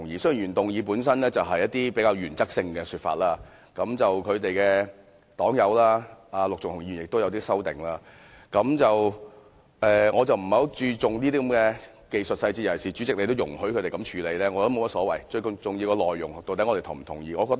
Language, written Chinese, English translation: Cantonese, 雖然原議案本身是一些比較原則性的說法，而他的黨友陸頌雄議員亦提出一些修訂，但我不太注重這些技術細節，尤其是主席既然也容許他們這樣處理，我認為也沒有所謂，最重要的是我們是否贊同當中的內容。, While the contents of the original motion have more to do with points of principle and his party comrade Mr LUK Chung - hung has proposed some amendments to it I do not care much about these technical details especially as the President already allowed them to do it this way and I have no strong view on this arrangement for the most important thing is whether we agree to the contents